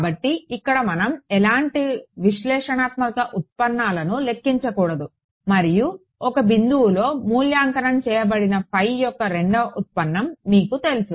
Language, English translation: Telugu, So, here let us say that I do not want to calculate any analytical derivatives and I have this you know second derivative of phi evaluated at one point